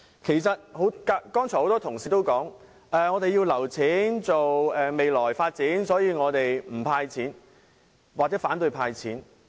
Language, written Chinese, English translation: Cantonese, 剛才很多同事說，我們要預留款項作未來發展，所以反對政府"派錢"。, Many Honourable colleagues have voiced opposition to a cash handout as according to them money should be kept for future development